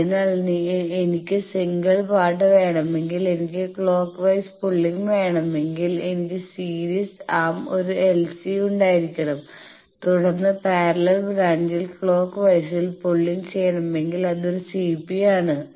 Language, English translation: Malayalam, So, if I want a by a single part I want a clock wise pulling I should have a l S in the series arm and then if I want a clockwise pulling that should be in a parallel branch it is a CP